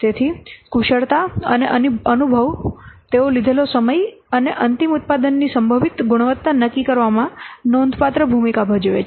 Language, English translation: Gujarati, So, skill and experience they play a significant role in determining the time taken and potentially quality of the final product